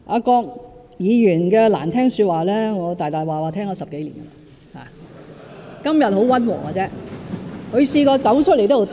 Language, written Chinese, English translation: Cantonese, 郭議員的難聽說話，我已經聽了10多年，他今天倒是十分溫和。, I have heard the less - than - friendly words of Dr KWOK for over 10 years . He is actually very restrained today